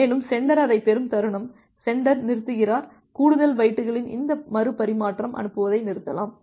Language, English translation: Tamil, And the moment sender gets it, the sender stops, may stop sending this retransmission of the additional bytes